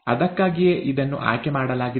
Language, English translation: Kannada, That is why this is chosen